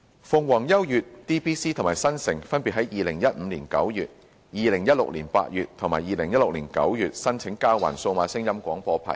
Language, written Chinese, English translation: Cantonese, 鳳凰優悅、DBC 及新城分別在2015年9月、2016年8月及2016年9月申請交還數碼廣播牌照。, In September 2015 August 2016 and September 2016 Phoenix U DBC and Metro applied for the surrender of their DAB licences respectively